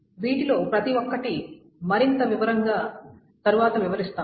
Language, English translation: Telugu, And we will describe each of this in more detail next